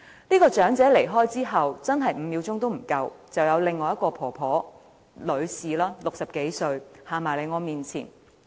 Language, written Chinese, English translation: Cantonese, 這名長者離開後不足5秒，便有另一名60多歲的女士走到我面前。, Less than five seconds after this elderly lady left another old lady in her sixties approached me